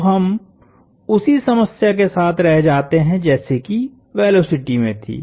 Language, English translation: Hindi, So, we are left with the same problem as we had with the velocities